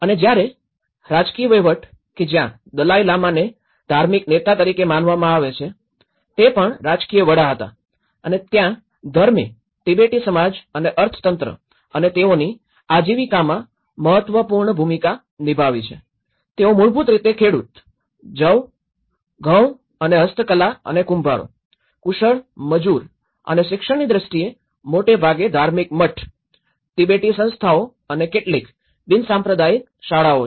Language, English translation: Gujarati, And whereas, the political administration, where the religious leader is considered as the Dalai Lama was also the political head and there is religion has placed an important role in the Tibetan society and again economy and livelihood; they are basically the farmers, barley, wheat and handicrafts and potters, the skilled labour and in terms of education, they have about the monastery mostly, Tibetan institutions and a few secular schools